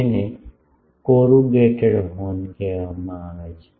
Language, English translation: Gujarati, Those are called corrugated horns